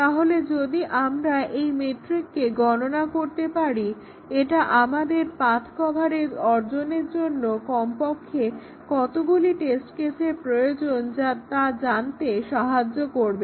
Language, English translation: Bengali, So, if we can compute the McCabe’s metric it tells us at least how many test cases will be required to achieve path coverage